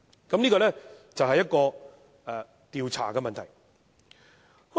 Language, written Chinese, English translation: Cantonese, 這是關於調查的問題。, This is the problem about investigations